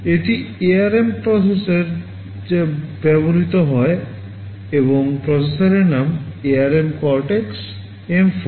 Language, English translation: Bengali, This is the ARM processor that is used and the name of the processor is ARM Cortex M4